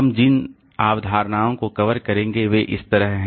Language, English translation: Hindi, The concepts that we'll be covering are like this